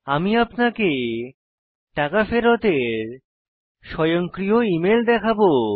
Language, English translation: Bengali, I will now show an Automated Email of refund